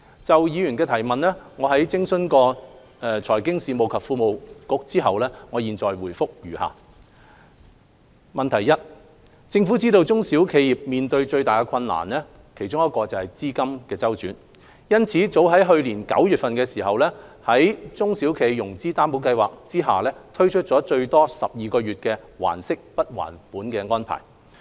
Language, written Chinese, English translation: Cantonese, 就議員的質詢，在諮詢財經事務及庫務局後，我謹答覆如下：一政府知道中小型企業面對的其中一個最大困難是資金周轉，因此早於去年9月在中小企融資擔保計劃下推出最多12個月"還息不還本"的安排。, Having consulted the Financial Services and the Treasury Bureau my reply to the Honourable Members question is as follows 1 The Government acknowledges that liquidity is one of the biggest difficulties faced by small and medium enterprises SMEs . Therefore we have since last September introduced an arrangement of principal moratorium for up to 12 months under the SME Financing Guarantee Scheme SFGS